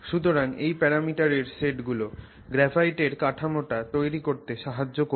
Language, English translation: Bengali, So, that is the set of parameters that help us define the graphic structure